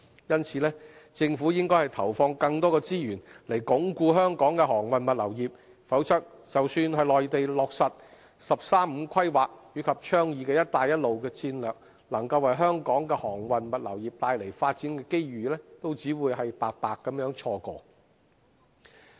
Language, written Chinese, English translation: Cantonese, 因此，政府應投放更多資源以鞏固香港的航運物流業，否則，即使內地落實的"十三五"規劃及倡議的"一帶一路"戰略能夠為香港的航運物流業帶來發展機遇，我們亦只會白白錯過。, Therefore the Government should allocate more resources to consolidate the freight logistics industry of Hong Kong . Otherwise although the implementation of the National 13 Five - Year Plan and the taking - off of the Belt and Road strategy of our country will bring opportunities to develop our freight logistics industry we will only let slip these business opportunities